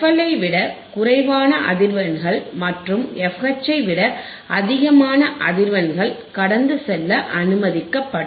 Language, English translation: Tamil, The frequencies less than less than f L and frequencies greater than f H would be allowed to pass would be allowed to pass